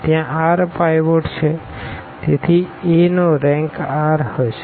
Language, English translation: Gujarati, There are r pivots; so, the rank of a will be r